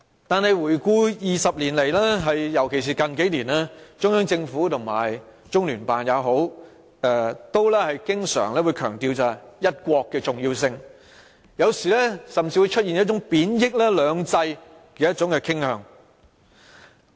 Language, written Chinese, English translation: Cantonese, 但是，過去20年來，尤其是近年，中央政府或中聯辦經常強調"一國"的重要性，有時甚至出現貶抑"兩制"傾向。, However over the past 20 years especially in recent years the Central Government or the Liaison Office of the Central Peoples Government in the HKSAR has always stressed the importance of one country and sometimes even has a tendency to belittle two systems